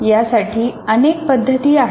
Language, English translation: Marathi, There can be any number of ways